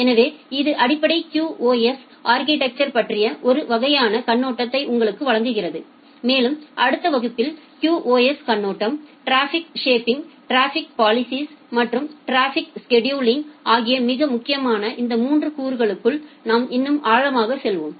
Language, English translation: Tamil, So, this gives you a kind of broad overview of the basic QoS architecture and in the next class we will go to more deeper inside this 3 components which are very important from the QoS perspective, the traffic shaping, traffic policing and traffic scheduling